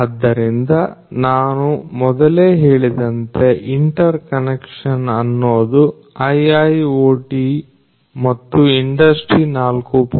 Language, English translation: Kannada, So, interconnection as I told you earlier is a very important component of IIoT and Industry 4